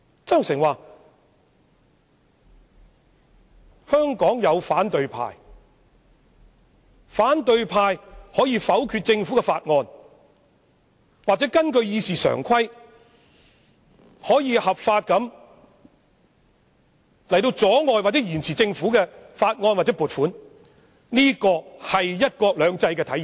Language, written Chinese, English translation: Cantonese, 曾鈺成指出，香港有反對派，反對派可否決政府的法案或根據《議事規則》，合法地阻礙或延遲政府提出的法案或撥款申請，而這正是"一國兩制"的體現。, He points out that Hong Kong has an opposition camp which can reject Government bills or under the Rules of Procedure legitimately hinder or delay bills or funding requests submitted by the Government and this is precisely the materialization of one country two systems